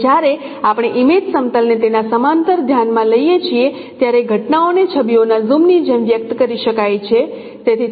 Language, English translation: Gujarati, And when we consider the image planes they are parallel, then the phenomena can be expressed like a zooming of images